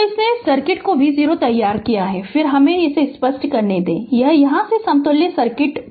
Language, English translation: Hindi, So, this if you draw v 0 ut this circuit then your what you call let me clear it this is the equivalent circuit from here